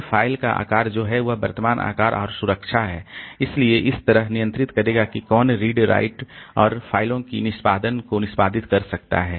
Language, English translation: Hindi, Then the size of the file what is that is the current size and the protection so it will control like who can do reading writing and executing the execution on the files